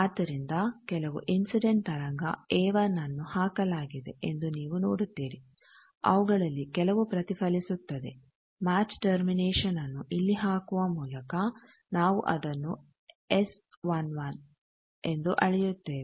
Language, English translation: Kannada, So, you see that some incident wave A 1 is put some of that gets reflected that we measure as S 11 by putting match termination here